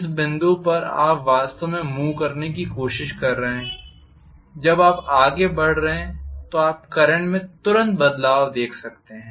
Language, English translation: Hindi, At the point you are actually trying to move when you are moving you are going to see a variation in the current instantaneously